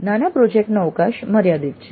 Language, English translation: Gujarati, So, the mini project has a limited scope